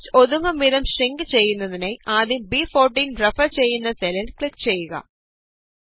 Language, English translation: Malayalam, In order to shrink the text so that it fits, click on the cell referenced as B14 first